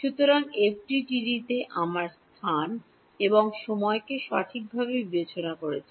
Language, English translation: Bengali, So, in FDTD we are discretizing space and time right